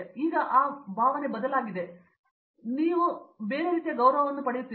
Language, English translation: Kannada, So, when you share that space you get a different respect